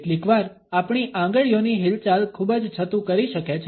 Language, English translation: Gujarati, Sometimes our finger movements can be very revealing